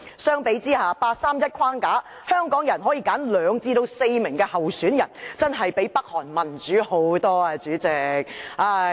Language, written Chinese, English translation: Cantonese, 相比下，根據八三一框架，香港人可以有兩至四名候選人，真的較北韓民主甚多，主席。, Under the framework of the 31 August Decision Hong Kong can have two to four candidates for the Chief Executive election . President in comparison Hong Kong is way more democratic than North Korea